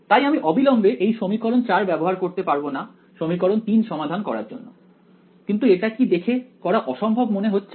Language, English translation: Bengali, So, I cannot immediately use this equation 4 to solve equation 3, but does it look impossible to do